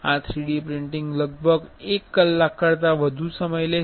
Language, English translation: Gujarati, This 3D printing will take around, it will take more than a hour